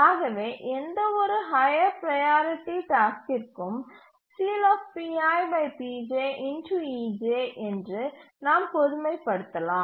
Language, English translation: Tamil, And therefore we can generalize that for any higher priority task, P